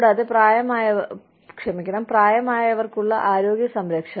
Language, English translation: Malayalam, And, health care for the aged